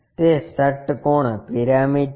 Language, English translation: Gujarati, It is a hexagonal pyramid